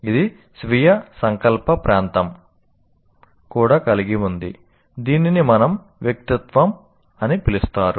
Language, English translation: Telugu, It also contains our so called self will area which may be called as our personality